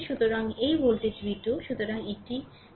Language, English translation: Bengali, So, this voltage v 2 right so, this is plus this is minus